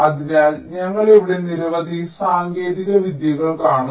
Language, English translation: Malayalam, so we shall see a number of various techniques here